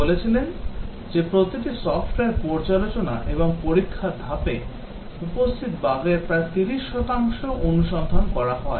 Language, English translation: Bengali, He said each of software review inspection and test step finds about 30 percent of the bugs present